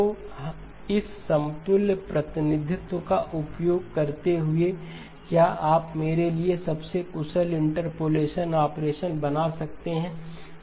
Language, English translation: Hindi, So using this equivalent representation, can you draw for me the most efficient interpolation operation